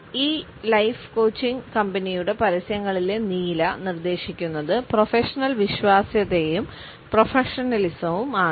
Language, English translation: Malayalam, The blue in the advertisements of this life coaching company suggest professionalism as well as dependability